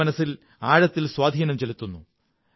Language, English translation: Malayalam, They leave a deep impression on my heart